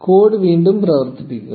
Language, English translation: Malayalam, And run the code again